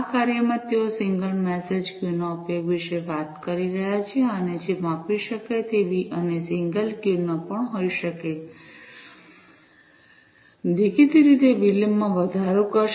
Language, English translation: Gujarati, In this work, they are talking about the use of single message queues and which may not be scalable and single queues; obviously, will increase the latency